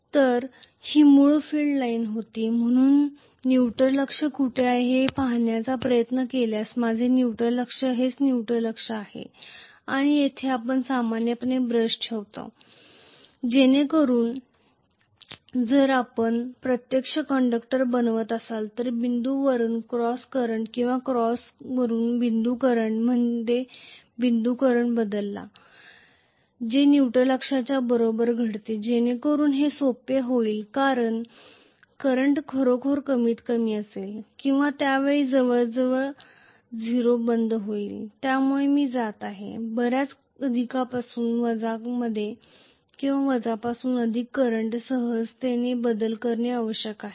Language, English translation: Marathi, So, this was the original field line, so my neutral axis if I try to look where the neutral was magnetically this is what was the neutral axis, and that is where we normally place the brushes, so that if we are actually making the conductors change over from dot to cross current or cross to dot current that happen exactly along the neutral axis so that it became simpler because the current is going to be really really minimal or almost closed to 0 at that point because of which I am going to have mostly the change over from plus to minus current or minus to plus current very smoothly